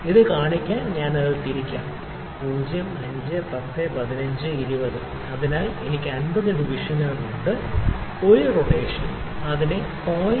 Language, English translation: Malayalam, I will rotate it to show it 0 5 10 15 20 so, on I have 50 divisions and one rotation will take it forward to 0